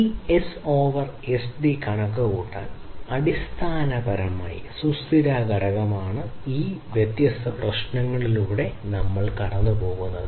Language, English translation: Malayalam, So, for computing this S over SD, which is basically the sustainability factor we have gone through all of these different issues